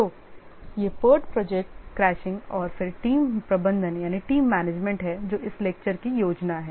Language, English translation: Hindi, So these are the part project crashing and then team management that's the plan for this lecture